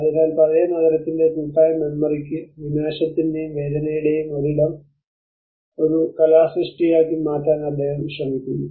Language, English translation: Malayalam, So he is trying to give a spatial dimension to the collective memory of the old city turning a place of devastation and pain into a work of art